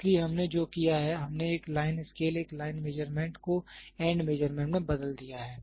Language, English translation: Hindi, So, what we have done is we have converted a line scale a line measurement into an end measurement